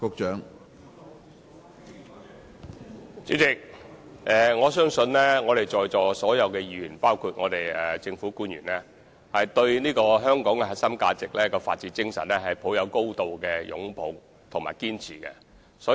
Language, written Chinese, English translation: Cantonese, 主席，相信在座所有議員，包括政府官員，對香港的核心價值、法治精神，均是高度擁抱和堅持。, President I believe all Members and public officers present here do dearly embrace and uphold the core values and rule of law of Hong Kong